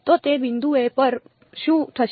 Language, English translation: Gujarati, So, at those points what will happen